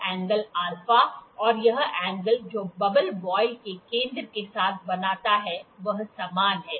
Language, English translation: Hindi, This angle alpha and this angle that the bubble makes with the centre of the voile, this angle is same